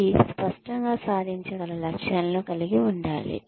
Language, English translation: Telugu, It should have clear attainable objectives